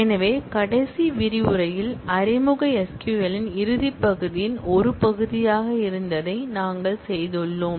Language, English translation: Tamil, So, in the last module this is what we have done which was part of the closing part of the introductory SQL